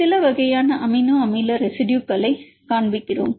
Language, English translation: Tamil, What are the characteristic features of different amino acid residues